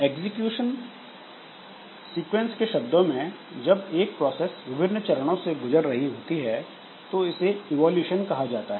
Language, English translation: Hindi, So, in terms of execution sequence, when a process is going through different phases of its evolution, so we can say that it goes through a number of states